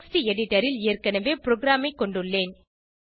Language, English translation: Tamil, I already have program in a text editor